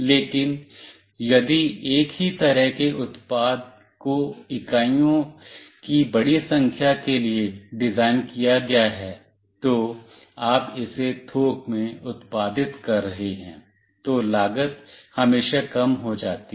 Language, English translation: Hindi, But, if the same kind of product is designed for a large number of units, you are producing it in a bulk, then the cost always reduces